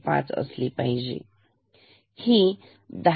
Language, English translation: Marathi, 5, here it is 10